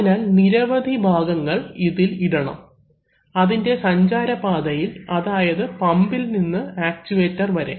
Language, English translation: Malayalam, So, various types of components have to be put in its, in the path of its journey from the pump to the actuator